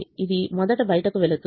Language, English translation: Telugu, this goes out first